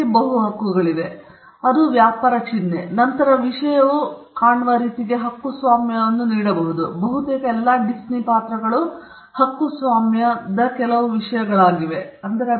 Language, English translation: Kannada, They have multiple rights, first it is a trade mark; and then the thing can also be copyrighted the way it looks, because almost all Disney characters where at some point subject matters of copyright